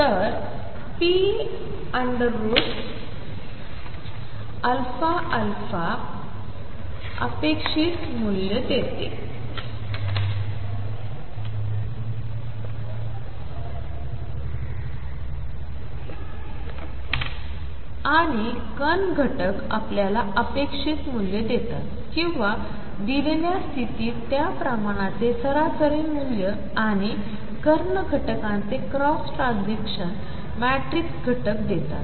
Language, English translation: Marathi, So, p alpha alpha gives you the expectation the; so, diagonal elements give you the expectation value or the average value for that quantity in a given state and of diagonal elements give you cross transition matrix elements